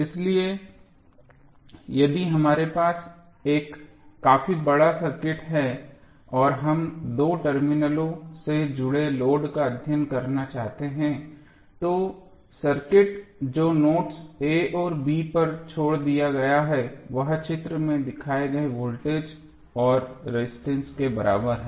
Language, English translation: Hindi, So, what we discussed that if we have a fairly large circuit and we want to study the load at connected across two terminals then the circuit which is left of the nodes a and b can be approximated rather can be equal with the voltage and resistances shown in the figure